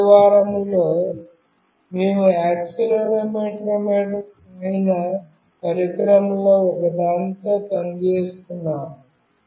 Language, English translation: Telugu, In the final week, we have been working with one of the device that is accelerometer